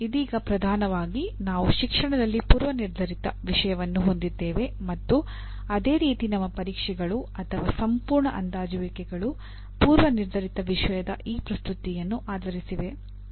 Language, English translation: Kannada, See right now dominantly we have the predetermined content and our tests are done, or entire assessments is based on this presentation of predetermined content and that is where the problem comes